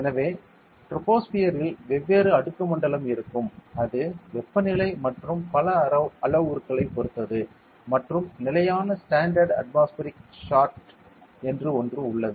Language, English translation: Tamil, So, in the troposphere will be different stratosphere will be different and it depends on temperature and a lot of parameters and we have something called a standard atmospheric chart